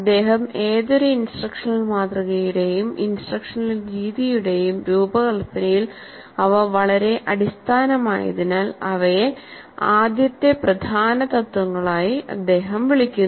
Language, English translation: Malayalam, He calls them as first principles because they are very basic to the design of any instructional model or instructional method